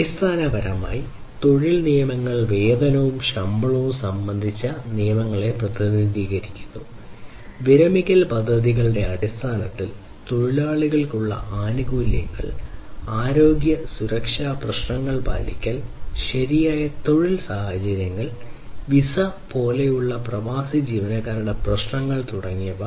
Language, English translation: Malayalam, So, basically the employment and labor rules represent laws concerning wages and salaries, things such as benefits to the workers in terms of retirement plans, compliance with health and safety issues, proper working conditions, issues of expatriate employees such as visas and so on